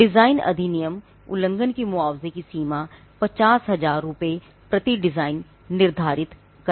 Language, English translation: Hindi, The designs act sets the limit for compensation per design infringement at 50,000 rupees